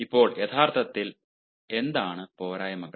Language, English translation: Malayalam, now, what are actually the disadvantages